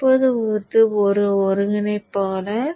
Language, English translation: Tamil, This goes to a controller